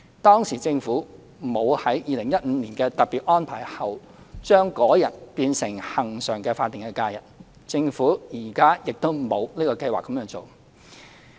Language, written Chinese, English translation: Cantonese, 當時政府沒有在2015年的特別安排後，將該日變成恆常的法定假日，政府現時亦沒有計劃這樣做。, After that special arrangement in 2015 the Government did not designate that day as a permanent statutory holiday then and neither has the Government the intention to do so now